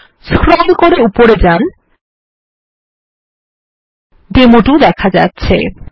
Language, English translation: Bengali, We scroll up as you can see here is demo2